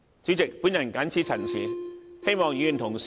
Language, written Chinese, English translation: Cantonese, 主席，我謹此陳辭，希望議員支持我的修正案。, With these remarks President I hope Members will support my amendment